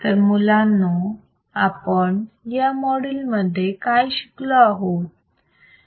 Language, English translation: Marathi, So, guys what we have seen in this module